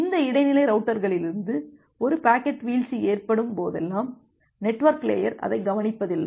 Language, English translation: Tamil, And whenever there is a packet drop from this intermediate routers, the network layer does not take care of that